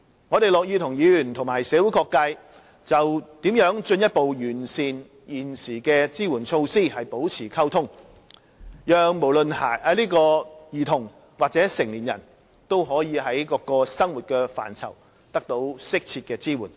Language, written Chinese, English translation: Cantonese, 我們樂意與議員及社會各界就如何進一步完善現時的支援措施保持溝通，讓不論兒童或成年人均可在各個生活範疇得到適切的支援。, We are happy to maintain communication with Members and various sectors of the community on how the existing support measures can be further improved so that both children and adults can obtain suitable support in various aspects of living